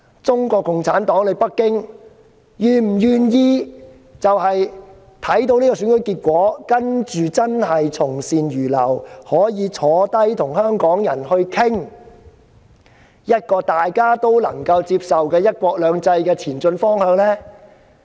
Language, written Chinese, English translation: Cantonese, 中共和北京是否願意看到這樣的選舉結果，並繼而從善如流，坐下來與香港人討論出一個大家都能夠接受的"一國兩制"前進方向？, Will CPC and Beijing be willing to accept this election outcome and respond accordingly to sit down with the Hong Kong people and work out a way forward for one country two systems which is acceptable to all?